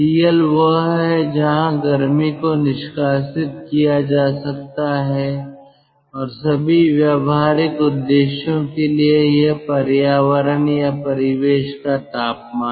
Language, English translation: Hindi, tl is where the heat can be dumped and for all practical purposes it is the temperature of the environment or ambient